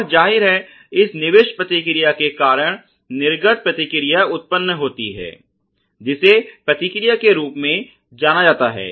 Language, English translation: Hindi, And obviously, because of this input response, there is output response which is generated also known as the response better known as the response